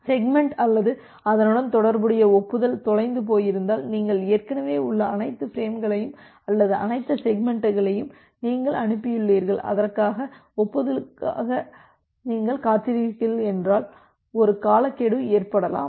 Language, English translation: Tamil, If the segment or the corresponding acknowledgement get lost and you have already sent all the frames or all the segments in your in your say, sending window, and you are waiting for the acknowledgement corresponds to that then, a timeout may occur